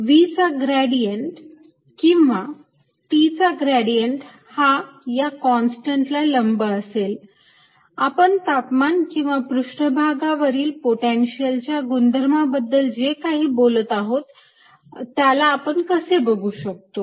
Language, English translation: Marathi, then the gradient of v or gradient of t is going to be perpendicular to the constant property we are talking about: temperature or potential surface